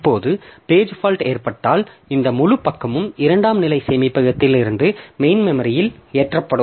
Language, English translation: Tamil, Now when this page fault occurs this entire page it will be loaded from secondary storage into main memory